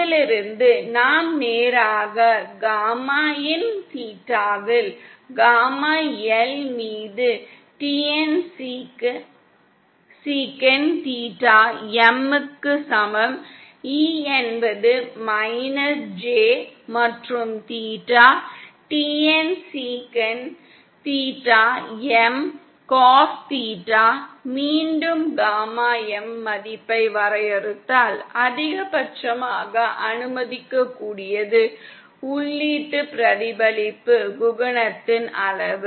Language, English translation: Tamil, From which we can then straight away write gamma in theta is equal to gamma L upon TN sec theta M, E is to minus J and theta, TN sec theta M cos theta, again if we define a gamma M value that is the maximum allowable magnitude of the input reflection coefficient then that is equal to gamma in of theta M